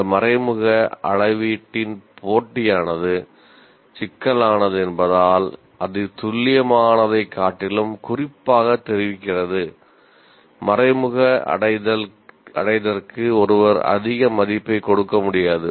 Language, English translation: Tamil, And as the computation of this indirect measurement is kind of complex and it is also indicative rather than exact, one cannot give a high weightage to the indirect attainment